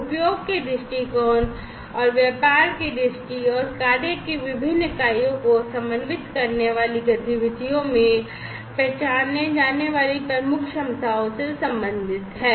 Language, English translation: Hindi, So, usage viewpoints are related with the key capabilities that are identified in the business viewpoint and the activities that coordinate the different units of work